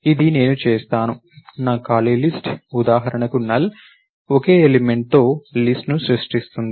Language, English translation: Telugu, So, this is what I do, my empty list make talent for example, creates a list with one single element